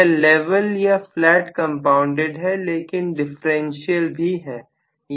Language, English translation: Hindi, This is level or flat compounded but this is also differential